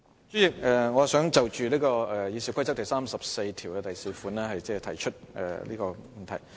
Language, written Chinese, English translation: Cantonese, 主席，我想就《議事規則》第344條提出問題。, President I wish to raise a point with regard to Rule 344 of the Rules of Procedure RoP